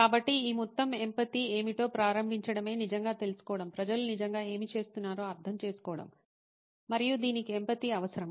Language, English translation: Telugu, So, to start off with what is it this whole empathy involves is to really find out, understand what is it that people are really going through and this requires empathy